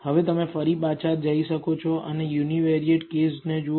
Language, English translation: Gujarati, Now, again you can go back and look at the univariate case